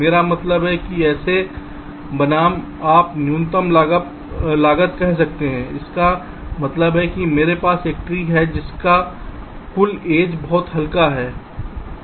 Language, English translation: Hindi, you can say minimum cost, which means i have a tree whose total edge weights are very light